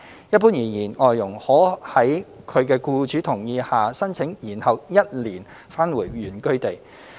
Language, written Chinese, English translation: Cantonese, 一般而言，外傭可在其僱主同意下申請延後1年返回原居地。, In general FDHs may apply for a one - year deferral for returning to their place of origin subject to agreement with their employers